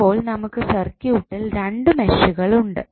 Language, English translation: Malayalam, If you see the circuit you will get two meshes in the circuit